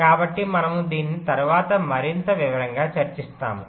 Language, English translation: Telugu, so we shall be discussing this in more detail later